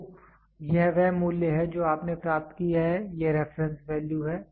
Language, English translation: Hindi, So, this is the value which you have achieved, this is the reference value